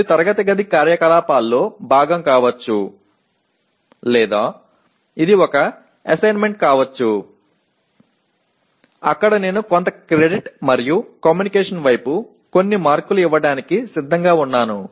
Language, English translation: Telugu, It could be part of the classroom activity or it could be an assessment where I am willing to give some credit and some marks towards communication whatever percentage it is